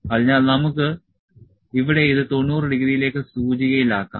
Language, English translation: Malayalam, So, we can index it, index to 90 degree here